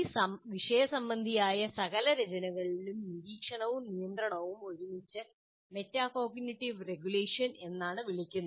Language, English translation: Malayalam, And in the literature, monitoring and control are together referred to as regulation, as metacognitive regulation